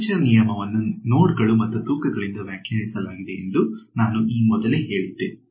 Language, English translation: Kannada, So, as I have mentioned before a quadrature rule is defined by the nodes and the weights